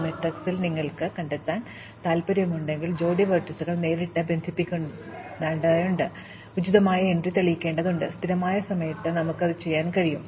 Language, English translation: Malayalam, In this matrix, if you want to find out, whether pair of vertices are directly connecting, we just have to probe the appropriate entry, we can do that in constant time